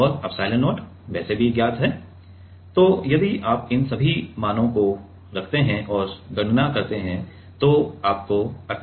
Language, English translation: Hindi, And epsilon not is anyway known so, if you put all these values and calculate you will get 18